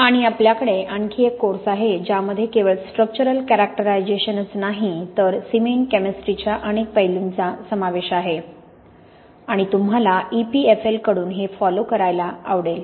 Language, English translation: Marathi, And also we have another course which covers not only the structural characterisation but also lots of aspects of cement chemistry and you may also be interested to follow this from EPFL